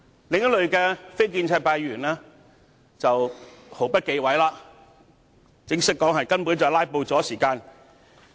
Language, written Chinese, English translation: Cantonese, 另一類非建制派議員的發言，則毫不忌諱地承認是在"拉布"消耗時間。, Another group of non - establishment Members have made no bones about their intention to waste time by means of filibustering